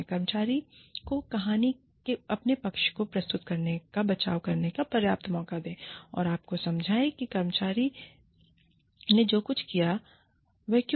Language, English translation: Hindi, Give the employee, enough chance to defend, to present her or his side of the story, and explain to you, why the employee did, whatever she or he did